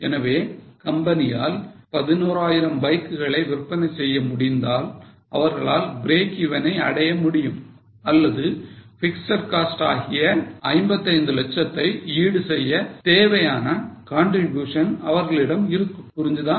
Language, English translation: Tamil, So, if the company is able to sell 11,000 bikes, they would just be able to break even or they would just have enough contribution to match the fixed cost of 55 lakhs